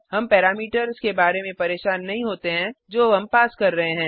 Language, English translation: Hindi, We do not have to worry about the parameters that we are passing